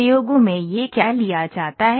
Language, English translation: Hindi, So, in experiments what is, what is it taken